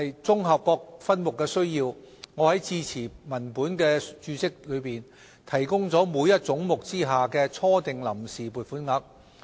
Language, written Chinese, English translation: Cantonese, 綜合各分目的需要，我在致辭文本的註釋中提供了每一總目之下的初訂臨時撥款額。, The initial amount of funds on account under each head which has incorporated requirements at subhead level is provided in the form of a footnote to this speech